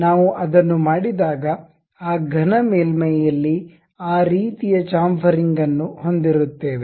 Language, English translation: Kannada, When we do we will have that kind of chamfering on that solid surface